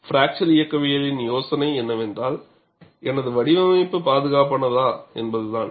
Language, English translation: Tamil, The idea of fracture mechanics is, whether my design is safe